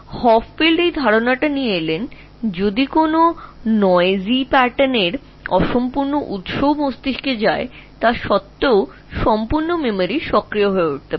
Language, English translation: Bengali, So Hopfield brought out this idea that even if a noisy or incomplete version of the pattern stone in the brain is given, still the whole memory can be activated